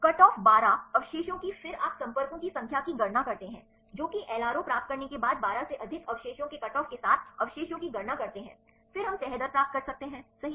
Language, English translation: Hindi, we can predict the LRO, right because this we only we need the cutoff twelve residues then you calculate the number of contacts the residues with the cutoff of more than twelve residues once we get the LRO, then we can get the folding rate, right